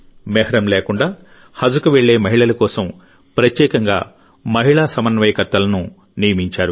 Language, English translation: Telugu, Women coordinators were specially appointed for women going on 'Haj' without Mehram